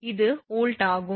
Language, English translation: Tamil, It is volts